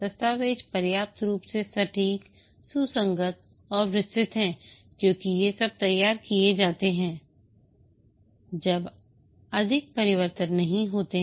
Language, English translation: Hindi, The documents are sufficiently accurate, consistent and detailed because these are prepared when there are no more changes